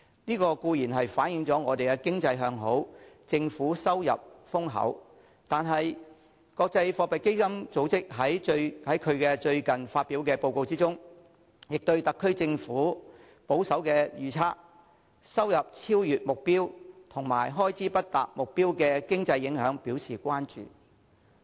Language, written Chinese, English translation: Cantonese, 這固然反映我們的經濟向好，政府收入豐厚，但國際貨幣基金組織在最近發表的報告中，亦對特區政府的"保守預測"、"收入超越目標"及"開支不達目標"的經濟影響表示關注。, This certainly reflects a booming economy and a substantial amount of government revenue but IMF has expressed concern about the economic implications of the conservative forecasts over - achievement of revenues and under - achievement of expenditures of the SAR Government in its most recent report